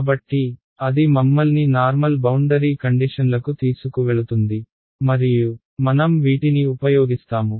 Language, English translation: Telugu, So, that takes us to normal boundary conditions and I will use